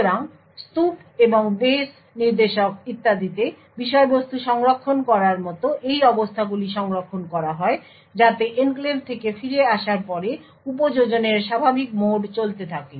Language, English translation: Bengali, So, these states saving like context saving in the stack and base pointer and so on are saved so that after returning from the enclave the normal mode of operation can continue